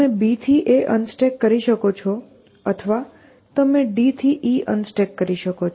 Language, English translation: Gujarati, So, you can unstack a from b or you can unstack e from d